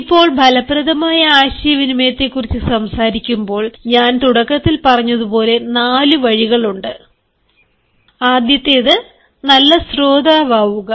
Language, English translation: Malayalam, now, when we talk about effective communication, as i said in the beginning, there are four ways, and the first is listening